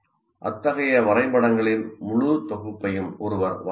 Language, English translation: Tamil, One can draw a whole set of this kind of diagrams